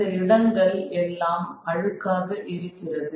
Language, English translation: Tamil, Certainly these places are dirty